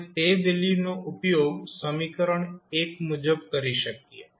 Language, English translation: Gujarati, You can put this value again in this equation